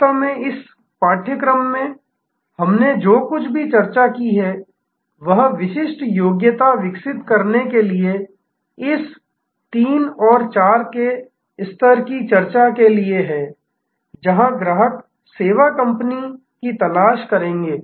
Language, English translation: Hindi, Really in this course, everything that we have discussed is for the journey towards this 3rd and 4th level to develop distinctive competence, where customers will seek out the service company